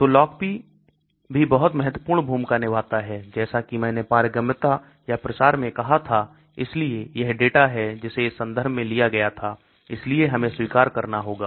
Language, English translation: Hindi, So Log P also plays a very important role as I said in the permeability or the diffusion so this is the data which was taken from this reference, so we have to acknowledge this